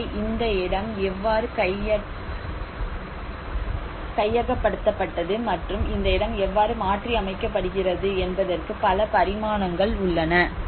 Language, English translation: Tamil, So there are many dimensions of how this place is conquered and how this place is modified